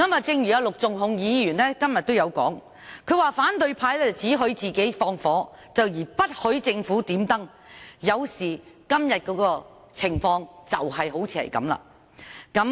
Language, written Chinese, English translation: Cantonese, 正如陸頌雄議員今天說，反對派只許自己放火而不許政府點燈，今天的情況就正是如此。, As described by Mr LUK Chung - hung today opposition Members are given full licence to commit arson while the Government cannot light a lamp . This is exactly the case today